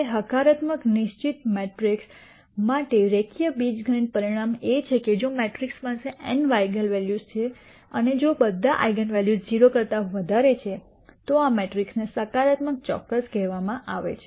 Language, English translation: Gujarati, Now, the linear algebraic result for positive definite matrix is that if this matrix has let us say n eigenvalues, and if all of these eigenvalues are greater than 0 then this matrix is called positive definite